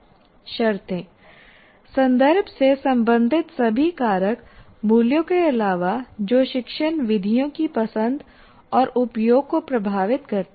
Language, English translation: Hindi, Conditions, all factors related to the context other than values that have influence on the choice and use of instructional methods